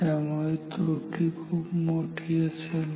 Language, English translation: Marathi, So, the error is huge